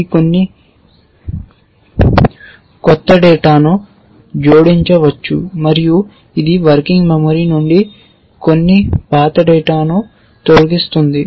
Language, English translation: Telugu, It may add some new data and it will deletes some old data from the working memory